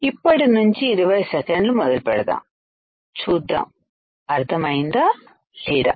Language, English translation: Telugu, 20 seconds starts now let us see whether you can understand or not